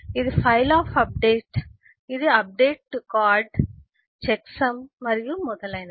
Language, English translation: Telugu, This is the file of updates, this is update to card, the checksum and so on